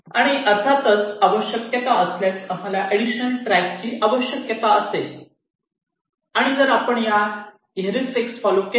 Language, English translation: Marathi, ok, and of course we will need additional tracks if required and if you follow this heuristics